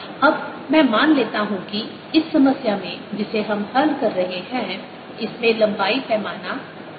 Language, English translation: Hindi, now let me assumed that the length scale in the problem that we are solving in this is l